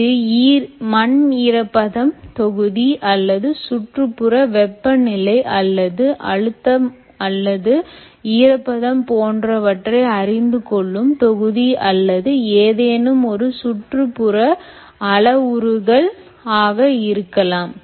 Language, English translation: Tamil, ok, it could either be a soil moisture block or it could be other ambient temperature measurement block, ambient temperature, or it could be pressure, it could be humidity or any one of the ambient parameters, including moist soil moisture